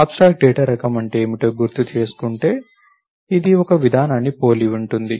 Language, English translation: Telugu, Just to recap what is an abstract data type it is similar to a procedure